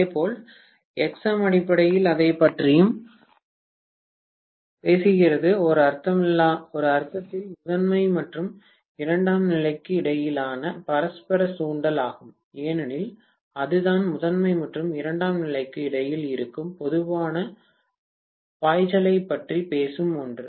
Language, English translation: Tamil, Similarly if I look at Xm, Xm is also essentially talking about what is the mutual inductance between the primary and secondary in one sense, because that is the one which is talking about the common flux that is existing between primary and secondary